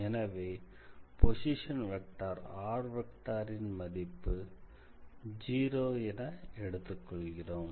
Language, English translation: Tamil, So, at that time basically the position vector r would also be 0